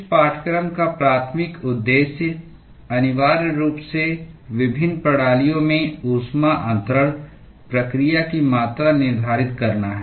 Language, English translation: Hindi, The primary objective of this course is essentially, to quantify the heat transfer process in various systems